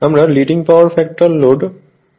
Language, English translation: Bengali, So, next is Leading Power Factor Load right